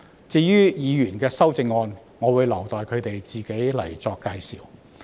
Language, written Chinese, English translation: Cantonese, 至於議員的修正案，我會留待他們自己闡述。, As for the amendments of Members I will leave the elaborations to them